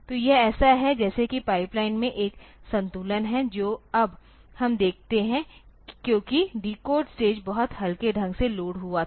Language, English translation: Hindi, So, this as it is if there is a balancing in the pipeline that we see now because the decode stage was very lightly loaded